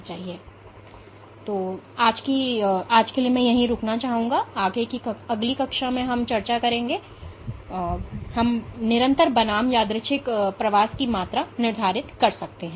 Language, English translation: Hindi, So, I will stop here for today, and in next class I will give some discussion as to how we can quantify persistent versus random migration